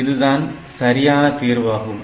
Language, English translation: Tamil, So, this is also a solution